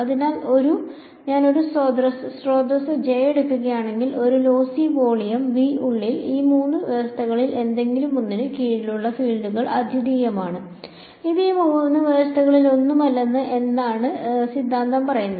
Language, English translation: Malayalam, So, what is the theorem saying that, if I take a source J, inside a lossy volume V then the fields are unique under any of these three conditions ;it is not all its any of these three conditions